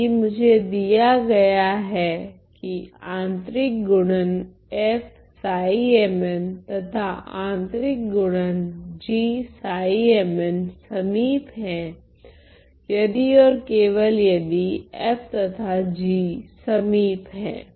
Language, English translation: Hindi, If I am given that the inner product of f with psi and the inner product of g with psi are close are close if and only if the if and only if f and g f and g are close ok